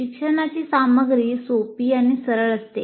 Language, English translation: Marathi, Learning material is fairly simple and straightforward